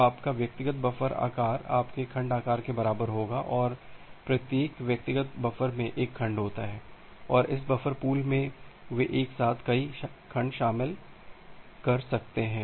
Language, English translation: Hindi, So, your individual buffer size will be equal to your segment size and every individual buffer contains one segment and this buffer pool they can contain multiple segments all together